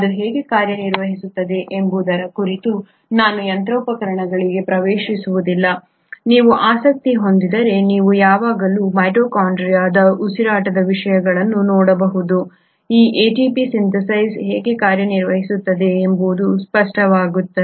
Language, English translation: Kannada, I will not get into the machinery as to how it functions; if you are interested you can always look at topics of mitochondrial respiration, it will become evident how this ATP Synthase work